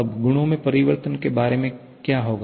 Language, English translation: Hindi, Now, what about the change in the properties